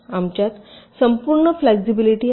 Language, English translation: Marathi, we have entire flexibility